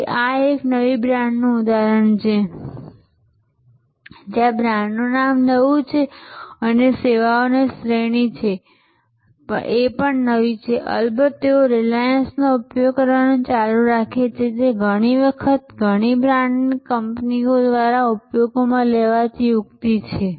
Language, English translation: Gujarati, So, this is an example of a new brand, where the brand name is new and the service categories new of course, they continue to use reliance, which is often the tactics used by multi brand companies